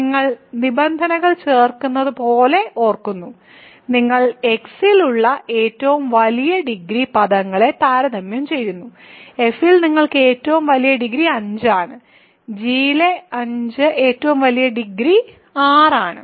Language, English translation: Malayalam, So, you compare terms the largest degree that you have in x, in f is 5 largest degree you have in g is 6